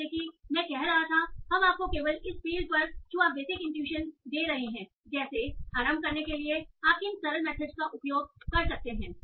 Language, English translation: Hindi, So as I was saying, so we have only touched upon this field giving you basic inductions, what are the simple methods you can use to at least get started